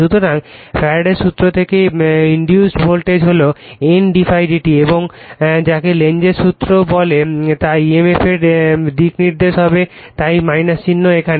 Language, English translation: Bengali, So, from the Faradays law the voltage induced thing is N d∅/dt and Lenz d I or what you call Lenz’s law will give you the your direction of the emf so, that is why minus sign is here